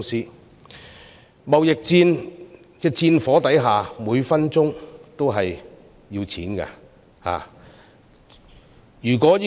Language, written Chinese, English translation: Cantonese, 在貿易戰的戰火之下，每分鐘都要錢。, Under the trade war money is needed every minute